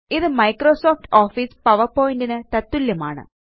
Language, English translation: Malayalam, It is the equivalent of Microsoft Office PowerPoint